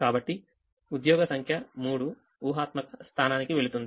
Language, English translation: Telugu, so job number three goes to the imaginary position